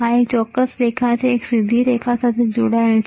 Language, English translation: Gujarati, This particular line, this one, straight this is connected this is connected